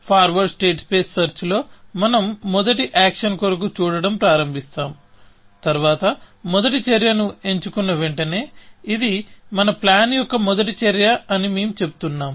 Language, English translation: Telugu, In forward state space search, we start looking for the first action and then, as soon as we pick a first action, we say this is the first action of our plan